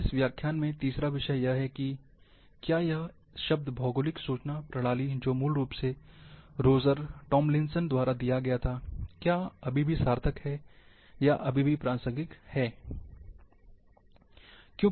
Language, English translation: Hindi, Now third one, in this lecture is, whether this term which was originally was given by Roger Tomlinson, which is Geographic Information Systems is it still meaningful,or is still relevant